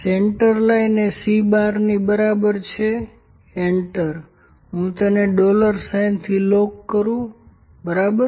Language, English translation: Gujarati, Central line is equal to C bar enter let me lock it dollar and dollar, ok